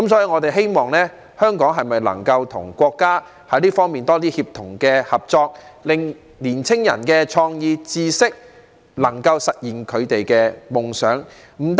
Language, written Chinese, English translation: Cantonese, 我們希望香港能夠與國家在這方面有更多協同合作，讓年青人能夠發揮創意、運用知識、實現他們的夢想。, We hope that Hong Kong can work more closely with our country in this area so that young people can make use of their creativity and knowledge to realize their dreams